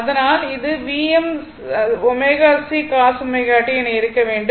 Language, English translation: Tamil, Therefore, this one should be V m omega C cos omega t right